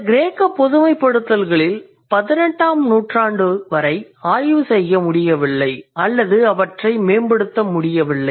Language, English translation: Tamil, So, all these Greek generalizations, they could not be worked on or they could not be improved until 18th century